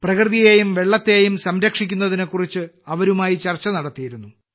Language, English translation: Malayalam, At the same time, I had a discussion with them to save nature and water